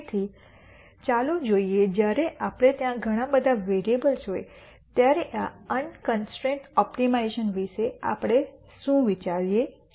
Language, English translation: Gujarati, So, let us look at how we think about this unconstrained optimization when there are multiple variables